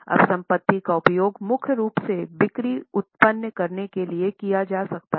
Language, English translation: Hindi, Now the assets are being used mainly for generating sales